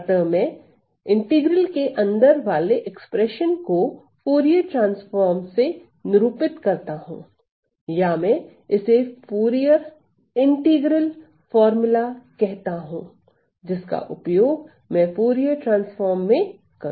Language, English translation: Hindi, So, I am going to denote this thing inside this integral as my Fourier transform or I call this as my Fourier integral formula, which is what I will be using for my Fourier transform